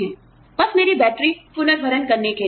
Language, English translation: Hindi, You know, just to recharge my batteries